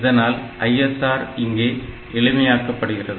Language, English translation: Tamil, So, your ISR becomes must simpler ok